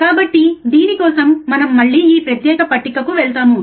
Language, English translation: Telugu, So, for this again we go back to we go to the the this particular table, right